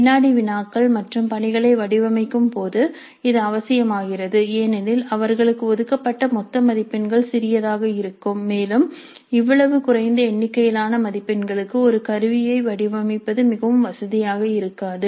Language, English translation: Tamil, This becomes necessary when designing quizzes and assignments because the total marks allocated to them would be small and designing an instrument for such a small number of marks may not be very convenient